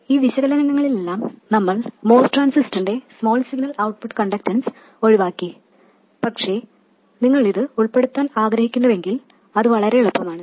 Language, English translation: Malayalam, By the way, in all of this analysis we have omitted the small signal output conductance of the MOS transistor but if you do want to include it it is very easy